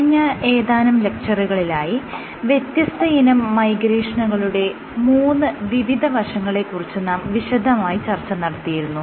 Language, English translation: Malayalam, In the last few lectures we had discussed about different modes of migration specifically focusing on 3 different aspects